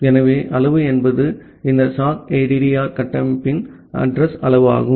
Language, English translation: Tamil, So, the size is the address size of thus this sockaddr structure